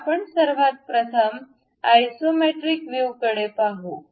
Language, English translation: Marathi, So, first thing what we will do is look at isometric view